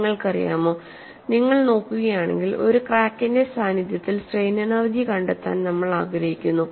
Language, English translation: Malayalam, You know, if you really look at, we want to evaluate strain energy in the presence of a crack